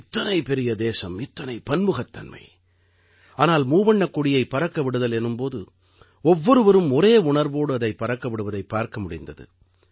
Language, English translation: Tamil, Such a big country, so many diversities, but when it came to hoisting the tricolor, everyone seemed to flow in the same spirit